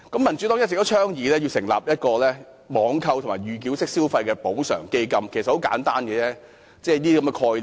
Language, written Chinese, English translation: Cantonese, 民主黨一直倡議成立"網購及預繳式消費補償基金"，其實是很簡單的概念。, The Democratic Party has always advocated the establishment of a compensation fund for online purchase and pre - payment mode of consumption . The concept is actually very simple